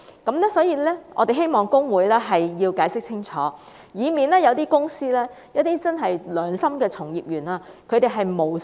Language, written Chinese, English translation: Cantonese, 因此，我們希望公會解釋清楚，以免一些公司的良心從業員誤墮法網。, We hope that HKICPA can give us a clear explanation so that honest practitioners of companies will not be inadvertently caught by the law